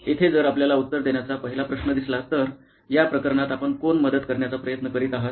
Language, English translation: Marathi, Here, if you see the first question to answer is, who are you trying to help really in this case